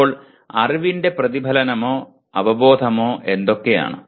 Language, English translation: Malayalam, Now what are the types of reflection or awareness of knowledge